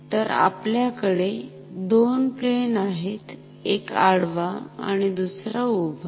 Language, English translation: Marathi, So, we have two planes; one horizontal, one vertical